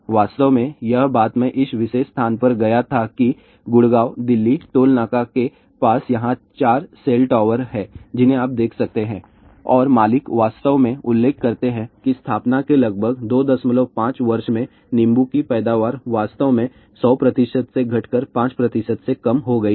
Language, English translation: Hindi, In fact, this thing I had gone to this particular place there are four cell towers you can see over here near Gurgaon, Delhi, Toll Naka and the owner actually mention that the lemon yield actually reduced from 100 percent to less than 5 percent in just about 2